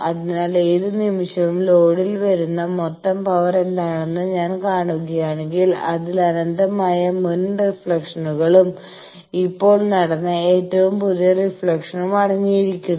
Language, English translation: Malayalam, So, at any instant, if I see that what is the total power that is coming at the load it is consisting of infinite number of previous reflection, the most recent reflection that happened only